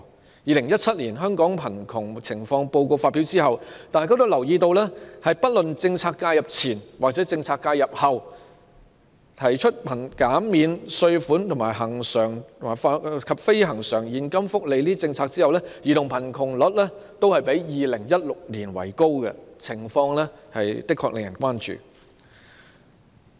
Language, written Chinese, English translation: Cantonese, 在《2017年香港貧窮情況報告》發表後，大家均留意到，不論是政策介入前或政策介入後，在扣除稅項和計及恆常及非恆常現金福利等政策後，兒童貧窮率均較2016年為高，情況的確令人關注。, After the publication of the Hong Kong Poverty Situation Report 2017 we all noticed that the child poverty rates be they pre - or post - policy intervention after deducting taxes and taking into account initiatives such as recurrent and non - recurrent cash benefits show an increase when compared with the figures of 2016 . The situation really warrants our concern